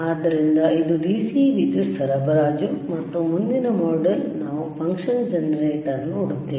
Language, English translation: Kannada, So, this is the starting, which is your DC power supply, and next module we will see the function generator, all right